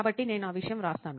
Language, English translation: Telugu, So I write that thing